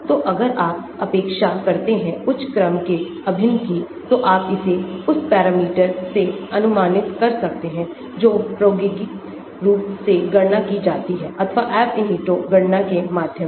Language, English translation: Hindi, So, if you neglect higher order integrals, you can approximate it from the parameter which are calculated experimentally or through Ab initio calculations